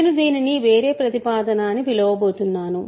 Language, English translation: Telugu, So, I am going to call this is a different proposition